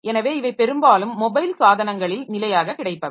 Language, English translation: Tamil, So these are standard that we have got on mobile devices mostly